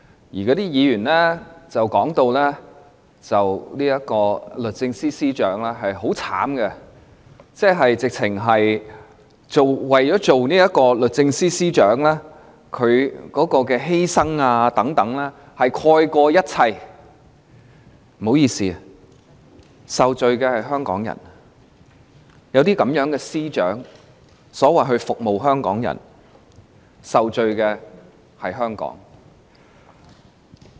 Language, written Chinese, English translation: Cantonese, 那些議員提到律政司司長很可憐，說得好像她擔任律政司司長的犧牲蓋過了一切，但不好意思，有這種司長所謂"服務"香港人，受罪的就是香港。, When they spoke of the Secretary for Justice they showed great pity for her as if her sacrifices for serving as the Secretary for Justice had outweighed all her faults . Yet excuse me I think Hong Kong suffers to have such a Secretary of Department to serve the people